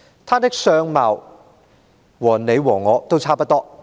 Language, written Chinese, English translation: Cantonese, 他的相貌和你和我都差不多。, His appearance resembles yours and mine